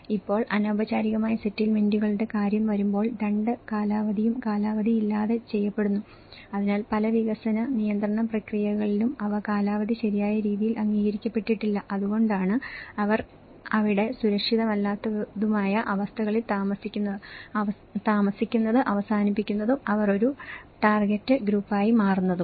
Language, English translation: Malayalam, Now, when it comes to the informal settlements, there are both tenure done without tenure, so in many of the development regulatory process, they don’t, without tenure has not been recognized in a proper way and that is the reason they end up living there and those unsafe conditions and they end up being a target groups